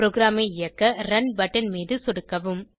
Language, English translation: Tamil, Now click on the Run button to run the program